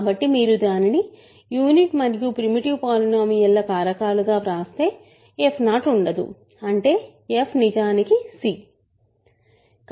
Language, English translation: Telugu, So, when you factor it in terms of into unit and a primitive polynomial, there is no f 0; that means, f is actually c